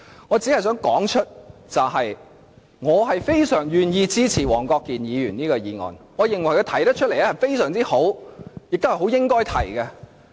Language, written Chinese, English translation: Cantonese, 我只想指出，我非常願意支持黃國健議員的議案，認為他提出的議案非常好，亦是應該提出的。, I just want to point out that I am thoroughly willing to support Mr WONG Kwok - kins motion as his motion is very good and deserves to be raised